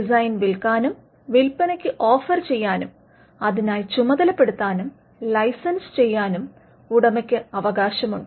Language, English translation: Malayalam, The owner has the right to sell, offer for sale, assign and licence the design